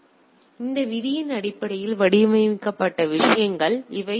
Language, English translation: Tamil, So, these are things which are filtered based on the this rule